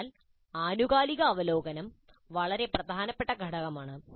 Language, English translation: Malayalam, Thus, the periodic review is an extremely important component